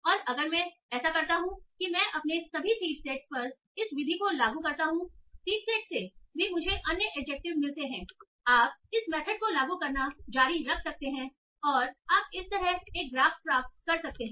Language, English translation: Hindi, And if I do that, if I apply this method over all my seed sets, also from the seeds that I get other adjectives, you can continue applying this method